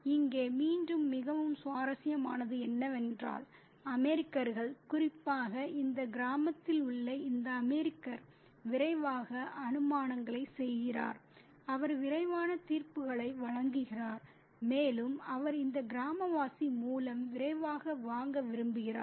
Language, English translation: Tamil, And what is very interesting here once again is the fact that the Americans have, particularly this American in this village, quickly makes assumptions, he makes quick judgments and he also wants to make a quick purchase through this villager